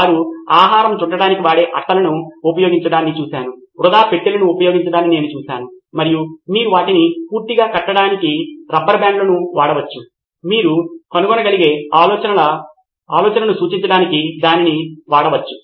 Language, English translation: Telugu, I have seen them use food wraps, boxes that are lying around just trinkets that are lying around and you can pull rubber bands for tying them altogether, whatever you can find just to get what the idea represent